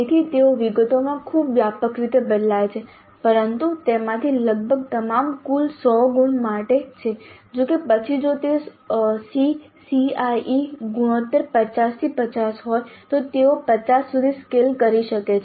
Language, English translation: Gujarati, So they vary very widely in details but however nearly all of them are for 100 marks in total though later they may be scaled to 50 if the SECE ratios are 50 50 then these 100 marks could be scaled to 50 if they are in the ratio of 20 80 C C